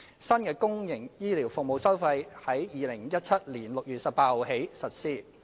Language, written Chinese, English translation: Cantonese, 新的公營醫療服務收費自2017年6月18日起實施。, The new fees and charges for public health care services have taken effect since 18 June 2017